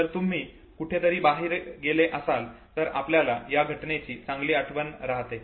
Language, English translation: Marathi, If you have gone for an outing somewhere we will have a better recall of that very event